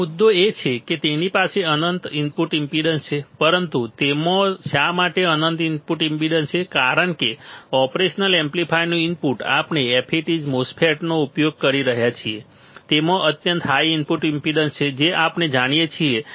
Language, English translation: Gujarati, Now, the point is it has infinite input impedance, but why it has infinite input impedance because the input of the operational amplifier, the input of operational amplifier, we are using the FETs MOSFETs right MOSFETs, it is has extremely high input impedance extremely high input impedance that we know right